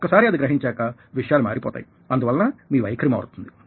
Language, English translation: Telugu, now, once you realize that and things change, so your attitude changes